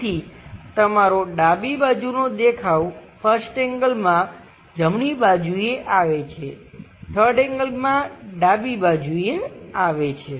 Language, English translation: Gujarati, So, your left side view comes on right side in 1st angle; in 3rd angle is right away comes on the left side